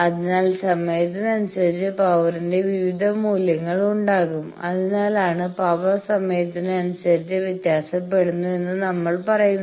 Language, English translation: Malayalam, So, with time there will be various values of this power that is why we say power varies during with time